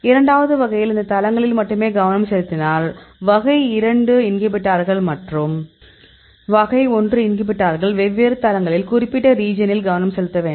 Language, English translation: Tamil, In the second type, if you focus only on the these sites; the type 2 inhibitors and the type 1 inhibitors, at this different sites, then we focus on that particular region